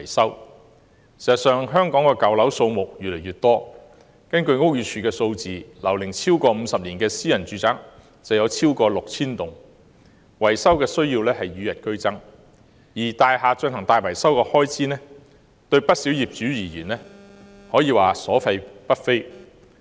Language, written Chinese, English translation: Cantonese, 事實上，香港的舊樓數目越來越多，根據屋宇署的數字，樓齡超過50年的私人住宅超過 6,000 幢，維修需要與日俱增，而大廈進行大型維修的開支對不少業主而言可謂所費不菲。, In fact the number of old buildings is on the increase in Hong Kong . According to the statistics of the Buildings Department there are more than 6 000 private residential buildings aged 50 years or above giving rise to an increasing need for repairs and to quite a number of owners the cost of large - scale building repair works is hardly affordable